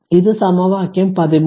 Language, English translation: Malayalam, So, this is equation 13